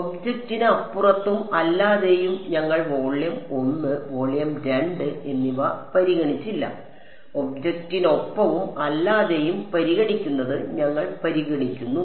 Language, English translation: Malayalam, Beside with and without the object right, we did not consider a volume one and then volume two, we consider considered with and without object